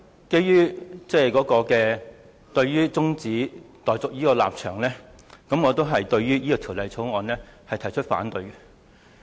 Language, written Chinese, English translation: Cantonese, 基於我對中止待續議案的立場，我對《條例草案》同樣表示反對。, In view of my position on the motion of adjournment I also oppose the Bill